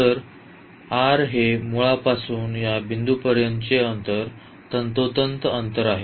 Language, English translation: Marathi, So, r is precisely the distance from the origin to this point